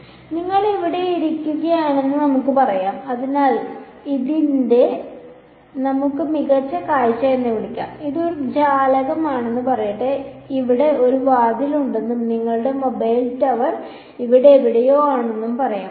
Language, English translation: Malayalam, So, let us say you are sitting over here right, so this let us call this a top view and this is your let say this is a window and let us say there is a door over here and your mobile tower is somewhere over here right which is sending out signals everywhere